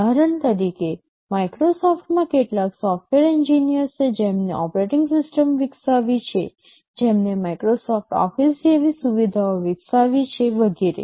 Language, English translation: Gujarati, For example, in Microsoft there are some software engineers who developed the operating system, who develop utilities like Microsoft Office, and so on